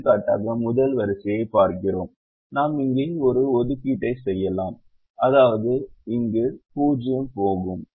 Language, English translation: Tamil, for example, we look at the first row and we say that we can make an assignment here, which means this zero will go